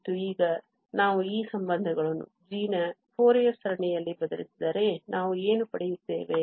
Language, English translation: Kannada, And, now if we substitute these relations in the Fourier series of g